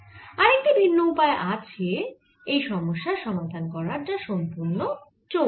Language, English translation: Bengali, the other way of looking at the problem its purely magnetic